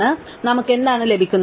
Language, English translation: Malayalam, So, therefore what have we gained